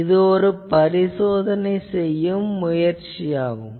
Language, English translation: Tamil, So, this is also one testing thing